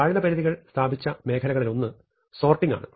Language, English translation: Malayalam, One of the areas where lower bounds have been established is sorting